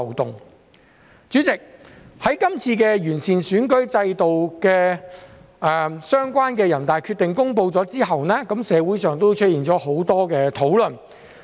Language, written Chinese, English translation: Cantonese, 代理主席，在全國人民代表大會公布關於完善選舉制度的決定後，社會上出現了很多討論。, Deputy President after the National Peoples Congress announced the decision on improving the electoral system there have been a lot of discussions in society